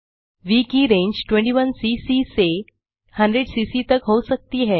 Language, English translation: Hindi, V can be in the range from 21cc to 100cc